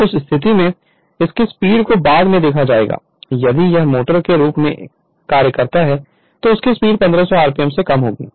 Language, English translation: Hindi, So, in that case its speed will be later will see if it acts as a motor its speed will be less than your 1,500 RMP right